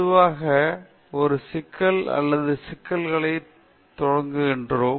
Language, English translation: Tamil, We begin with a problem or an issue, normally